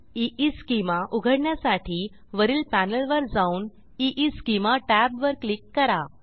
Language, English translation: Marathi, To open EEschema, go to the top panel and Click on EEschema tab